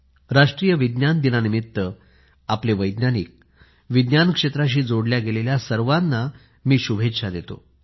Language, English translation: Marathi, I congratulate our scientists, and all those connected with Science on the occasion of National Science Day